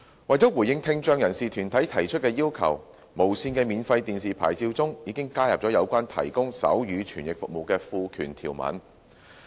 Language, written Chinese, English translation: Cantonese, 為了回應聽障人士團體提出的要求，無綫的免費電視牌照中已加入有關提供手語傳譯服務的賦權條文。, In response to the request raised by deputations of people with hearing impairment an enabling provision on providing sign language interpretation service has been included in the free television licence of TVB